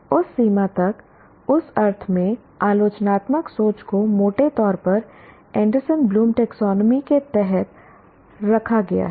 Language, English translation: Hindi, To that extent, the critical thinking in that sense is broadly subsumed under the Anderson Bloom taxonomy